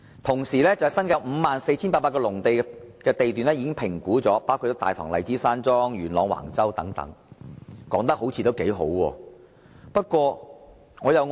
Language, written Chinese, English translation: Cantonese, 此外，新界各區共有 54,800 多個農地地段的物業已評估差餉，包括大棠荔枝山莊及元朗橫洲等，成績看似不俗。, Furthermore a total of 54 800 agricultural lots in various districts of the New Territories including Tai Tong Lychee Garden and Wang Chau Yuen Long have been assessed to rates . The result seems quite satisfactory